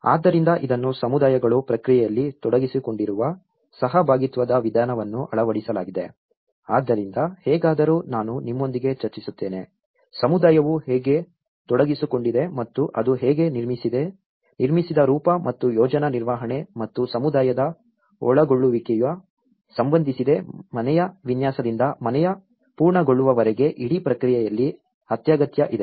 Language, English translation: Kannada, So this have been implemented the participatory approach where the communities were involved in the process so, anyways I will discuss with you with, the process how the community was involved and how it has related to the built form and the project management and community involvement was essential during the whole process from the design of the house to the completion of the house